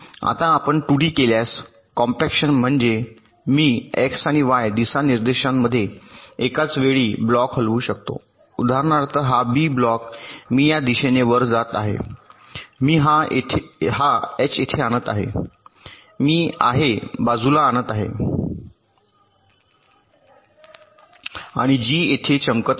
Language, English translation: Marathi, now, if you do two d compaction means i can move blocks simultaneously in x and y directions, like, for example, this b block i am moving upward, this i I am bringing here, this h i am bringing to the side, and g is brining here